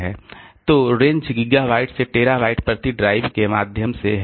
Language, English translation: Hindi, So, ranges from gigabytes through terabytes per drive